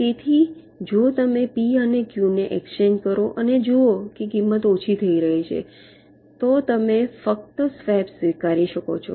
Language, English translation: Gujarati, so if you exchange p and q and see that the cost is decreasing, then you can just accept the swap